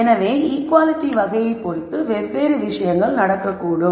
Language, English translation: Tamil, So, you see that depending on what type of inequality these different things can happen